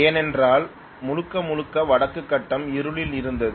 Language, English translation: Tamil, Because it conked out completely the entire Northern grid was in darkness